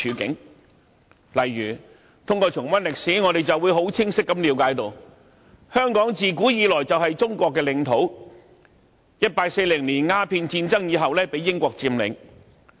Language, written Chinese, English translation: Cantonese, 舉例而言，通過重溫歷史，我們清晰了解到：香港自古以來就是中國的領土，它在1840年鴉片戰爭後被英國佔領。, For example by studying history we will clearly understand that Hong Kong has been a part of China since ancient times and was occupied by Britain after the Opium War in 1840